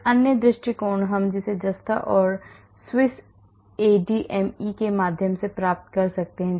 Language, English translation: Hindi, Another approach we can get it through Zinc and Swiss ADME